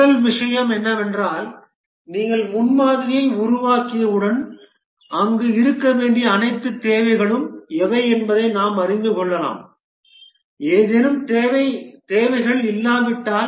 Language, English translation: Tamil, The first thing is that once we develop the prototype, we can know what are all the requirements that should be there, if there are any requirements which are missing